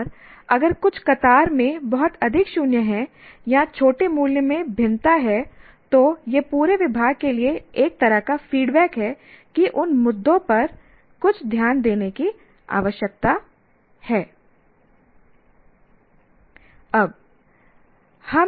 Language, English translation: Hindi, And if certain columns are either have too many zeros or very small value, it's a kind of feedback to the entire department that some attention needs to be paid to those issues